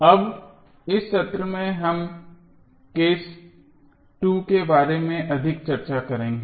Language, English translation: Hindi, Now, in this session we will discuss more about the case 2, what is case 2